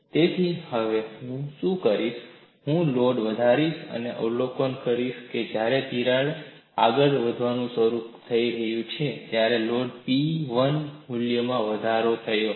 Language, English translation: Gujarati, So, what I will do now is, I will increase the load and observe the crack has started to advance when the load has increased to a value P1, and it has moved by a distance d v